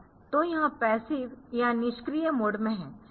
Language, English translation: Hindi, So, it is in the passive or inactive mode